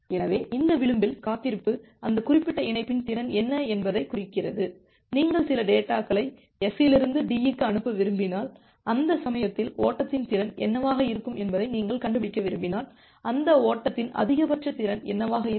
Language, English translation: Tamil, So, this edge wait signifies that what is the capacity of that particular link, say if you want send some data S to D, at that case, if you want to find out that what would be the capacity of that flow what would be the maximum capacity of that flow